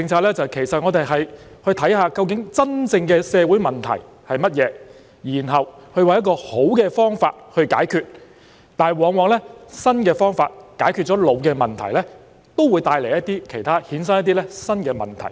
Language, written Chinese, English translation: Cantonese, 便是我們要看清楚真正的社會問題是甚麼，然後找出一個好的辦法解決；但往往新方法解決了老問題，也會衍生一些新的問題。, In terms of public policies we need to see clearly what the real social problems are and then find a good solution; but it happens that once the old problems are tackled by new solutions some new problems will be created